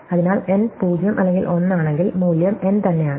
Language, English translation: Malayalam, So, if n is 0 or 1, the value is n itself